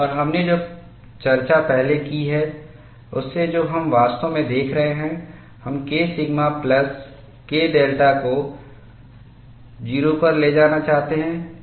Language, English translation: Hindi, And from the discussion we have done earlier, what we are really looking at is, we want to see K sigma plus K delta should go to 0